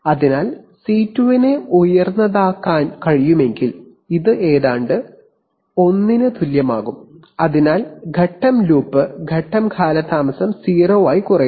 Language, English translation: Malayalam, So if C2 is can be made high, then this becomes almost equal to 1, so the phase loop, phase lag reduces to 0